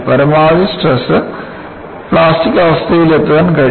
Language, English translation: Malayalam, At the most, the stresses can reach the plastic condition